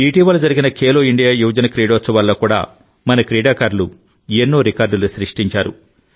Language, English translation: Telugu, In the recently held Khelo India Youth Games too, our players set many records